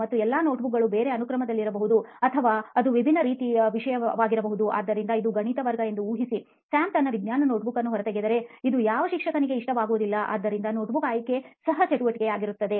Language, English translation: Kannada, and all the notebooks might be in a different sequence or it might be a topic in a different manner, so imagine it is a maths class and the teacher does not want, the teacher will never want Sam to take out his science notebook, so selecting the And I think there will be different notebooks for each subject